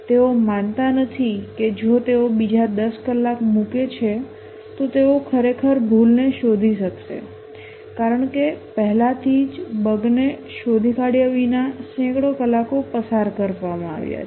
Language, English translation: Gujarati, They don't believe that if they put another 10 hours they would really be able to detect the bug because already hundreds of hours have been spent without detecting the bug